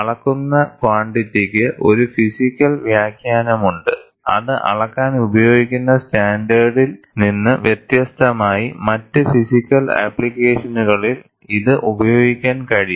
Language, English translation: Malayalam, The quantity measured has a physical interpretation, independent of the standard used to measure it, that can be used in other physics applications